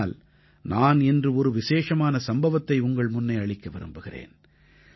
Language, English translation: Tamil, But today, I wish to present before you a special occasion